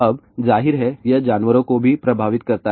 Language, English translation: Hindi, Now, of course, it also affects the animals